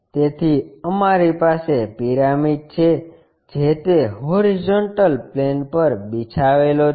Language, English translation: Gujarati, So, we have a pyramid which is laying on that horizontal plane